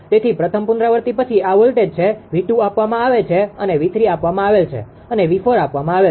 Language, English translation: Gujarati, So, after first iteration these are the voltages; V 2 is given whatever we have got it V 3 is given and V 4 is given